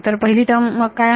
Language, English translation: Marathi, So, what will the first term be